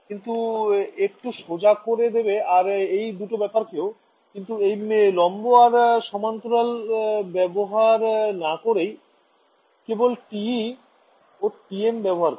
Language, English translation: Bengali, So, it makes life simple also this is the two cases, but we will not use this perpendicular and parallel notation, we will just use TE TM ok